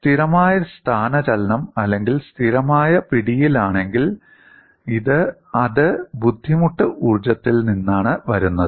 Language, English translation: Malayalam, In the case of a constant displacement or fixed grips, it was coming from the strain energy